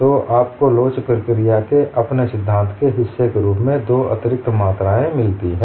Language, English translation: Hindi, Also you get two additional quantities, as part of here theory of elasticity procedure